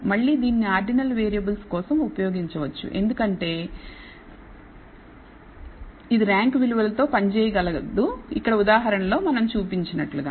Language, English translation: Telugu, Again this can be used for ordinal variables because it can work with ranked values here as we have seen in this example